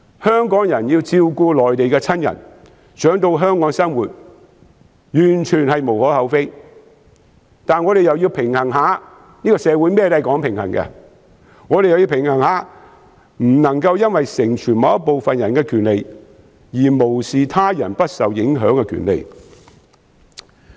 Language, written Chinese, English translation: Cantonese, 香港人要照顧內地的親人，他們想到香港生活，完全無可厚非，但我們也要平衡一下——社會甚麼也講求平衡——不能因為成全某部分人的權利，而無視他人不受影響的權利。, It is entirely unobjectionable that Hong Kong people have to take care of their Mainland relatives who want to live in Hong Kong but we should also strike a balance as is the case for anything in society . While realizing the rights of some people we should not disregard the rights of others to remain unaffected